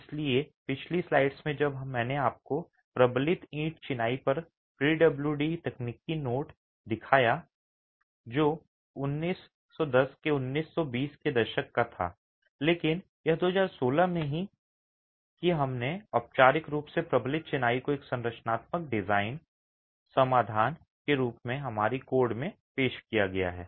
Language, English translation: Hindi, So, in the previous slides when I showed you the PWD technical note on reinforced brick masonry, that was late 1910s, 1920s, but it's only in 2016 that we have formally introduced reinforced masonry into our codes as a structural design solution